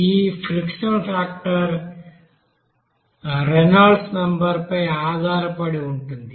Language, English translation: Telugu, Now this friction factor is basically a function of Reynolds number